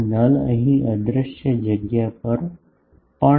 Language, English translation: Gujarati, This null here also at invisible space